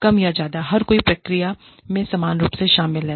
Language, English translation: Hindi, Everybody is more or less, equally involved in the process